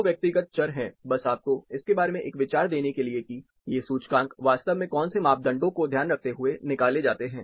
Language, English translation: Hindi, Two personal variables, just to give you an idea about, what are the parameters, these indices actually take into consideration